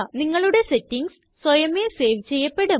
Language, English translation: Malayalam, Your settings will be saved, automatically